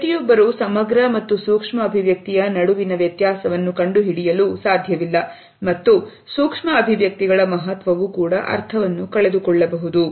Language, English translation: Kannada, Not everybody can make out the difference between a macro and micro expression and can lose the significance or the meaning of micro expressions